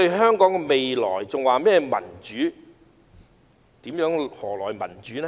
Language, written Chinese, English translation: Cantonese, 他們還說民主，究竟何來民主呢？, They talk about democracy but how can we have democracy?